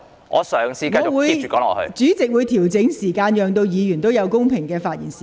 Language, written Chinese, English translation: Cantonese, 我會就此作出調整，讓議員有相等的發言時間。, I will make adjustment in this regard so that all Members will have equal speaking time